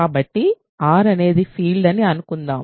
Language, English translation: Telugu, So, R is a field